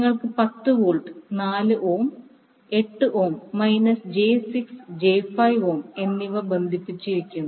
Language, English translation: Malayalam, Wwhere you have 10 volt, 4 ohm,8 ohm and minus j 6 and j 5 ohm connected